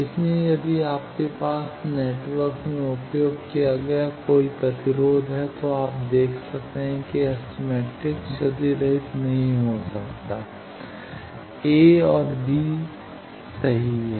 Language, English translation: Hindi, So, if any you have resistance used in the network you can see that is S matrix cannot be lossless a and b holds